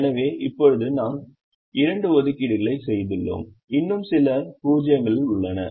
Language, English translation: Tamil, so right now we have made two assignments and there are still some zeros that are left